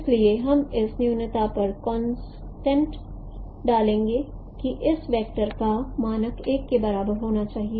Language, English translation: Hindi, So we would put a constraint on this minimization that norm of this this vector should be equal to one